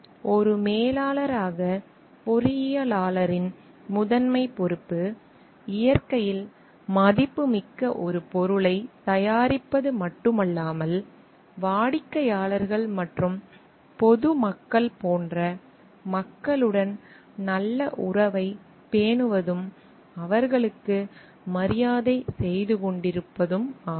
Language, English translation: Tamil, So, the primary responsibility of the engineer as a manager is to not only to produce a product which is valuable in nature, but also definitely to maintain a well balance of relationship with people like the customers employees and general public, and to have a great deal of respect for them